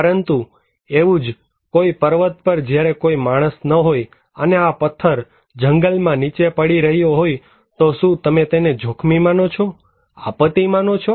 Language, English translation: Gujarati, But if it is like that maybe in a mountain when there is no human being and this stone falling down on a forest, do you consider it as risky; a disaster